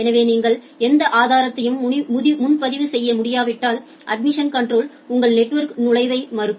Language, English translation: Tamil, So, if you are not able to reserve any further resource, then the admission control will deny your entry to the network